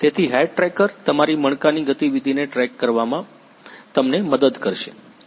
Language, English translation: Gujarati, So, the head tracker will help you in tracking your head movement